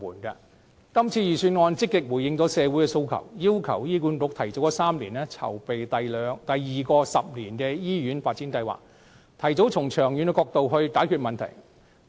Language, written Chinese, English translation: Cantonese, 今次預算案積極回應社會訴求，要求醫院管理局提早3年籌備第二個十年的醫院發展計劃，提早從長遠角度解決問題。, This years Budget has actively responded to public demand by requesting the Hospital Authority to start planning the second 10 - year Hospital Development Plan three years ahead of schedule addressing the problems in the long term in advance